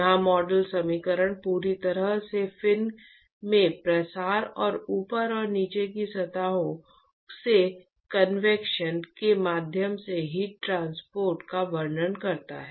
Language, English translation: Hindi, This model equation completely describes the heat transport via from diffusion in the fin and the convection from the top and the bottom surfaces